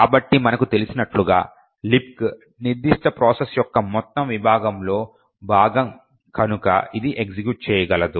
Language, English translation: Telugu, So, as we know LibC is part of the whole segment of the particular process and therefore it can execute